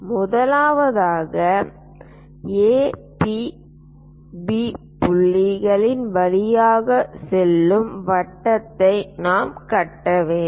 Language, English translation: Tamil, First of all, we have to construct a circle passing through A, P, B points